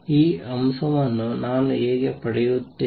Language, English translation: Kannada, How would I get this factor